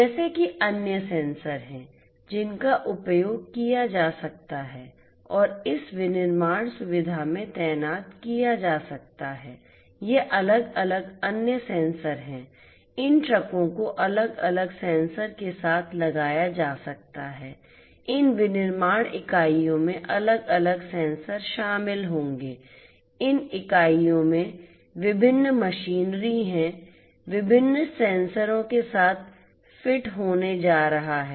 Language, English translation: Hindi, Like this there are other sensors that could be used and could be deployed in this manufacturing facility itself, these are these different other sensors sensor sensor sensor , these trucks could be fitted with different sensors, these manufacturing units would comprise of different sensors right, different machinery in these units are going to be fitted with different sensors